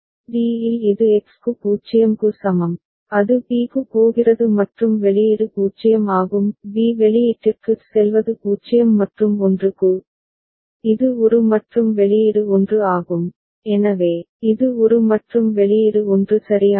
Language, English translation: Tamil, At d it is for X is equal to 0, it is going to b and output is 0; going to b output is 0 and for 1, it is going to a and output is 1, so, it is going to a and output is 1 right